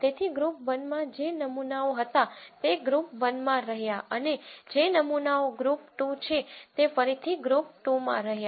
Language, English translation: Gujarati, So, whatever were the samples that were originally in group 1 remained in group 1 and whatever are the samples which are in group 2 re main in group 2